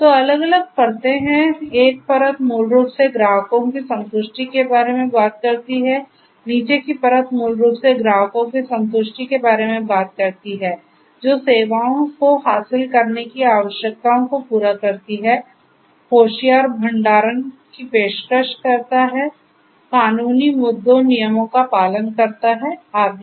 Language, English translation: Hindi, So, there are different layers one layer basically talks about the customer satisfaction, the bottom layer basically talks about the customer satisfaction which caters to requirements of securing the services, offering smarter storage, complying with legal issues, regulations and so on